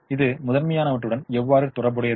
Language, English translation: Tamil, how is it related to the primal